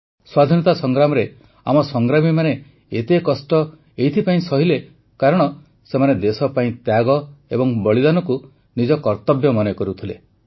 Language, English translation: Odia, In the struggle for freedom, our fighters underwent innumerable hardships since they considered sacrifice for the sake of the country as their duty